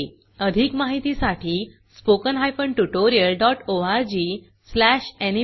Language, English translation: Marathi, For more information, visit:spoken hyphen tutorial dot org slash NMEICT hyphen intro